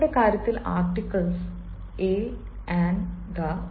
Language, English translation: Malayalam, so in our case, the articles are a, an and the